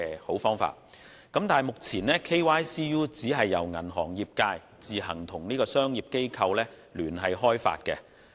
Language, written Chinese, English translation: Cantonese, 可是，現時的 KYCU 由銀行業自行與專業機構聯手開發。, Nonetheless the present KYCU is jointly developed by the banking industry and professional bodies on the formers initiative